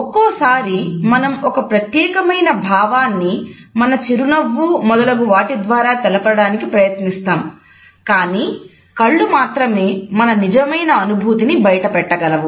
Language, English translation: Telugu, Sometimes you would find that we try to pass on a particular emotion through our smiles etcetera, but eyes communicate the truth of the emotions